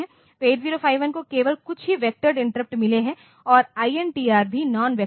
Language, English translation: Hindi, So, 8 0 8 5 it had got only a few vectored interrupts and INTR are all non vectors